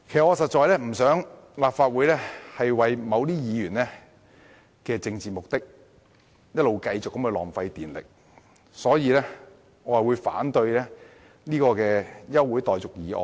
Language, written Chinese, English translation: Cantonese, 我不想立法會為某些議員的政治目的而不斷浪費電力，所以我會反對這項休會待續議案。, I do not wish to see the Legislative Council keep wasting electricity for serving the political purposes of certain Members so I am going to oppose this adjournment motion